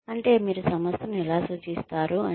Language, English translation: Telugu, Which means, how do you represent the organization